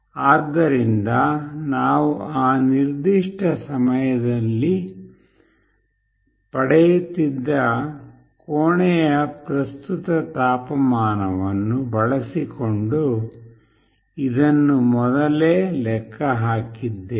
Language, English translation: Kannada, So, we have earlier calculated this using the current temperature of the room that we were getting at that particular time